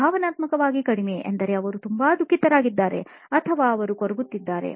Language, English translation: Kannada, Emotionally low meaning they are very sad or they are feeling a bit low